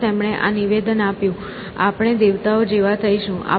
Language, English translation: Gujarati, And, he made this statement: “We shall be like gods